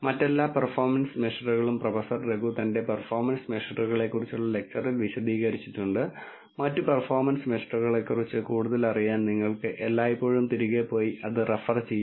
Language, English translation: Malayalam, All the other performance measures have been explained by Professor Raghu in his lecture of performance measure and you can always go back and refer to it to know more about the other performance measures